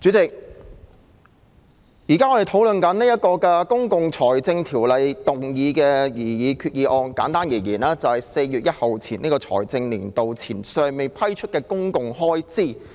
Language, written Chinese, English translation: Cantonese, 主席，現在我們討論這項根據《公共財政條例》動議的擬議決議案，簡單而言，就是為了處理在4月1日新財政年度開始後尚未批出的公共開支。, President to put it simply the proposed resolution moved under the Public Finance Ordinance being discussed by us now seeks to deal with the public expenditure yet to be approved upon the commencement of the financial year on 1 April